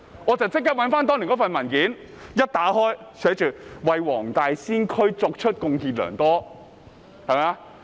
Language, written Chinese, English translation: Cantonese, 我立即翻查當年的文件，一打開文件，見到寫着他為黃大仙區貢獻良多。, I immediately checked the old document . As soon as I opened it I saw it read that he had contributed a lot to Wong Tai Sin District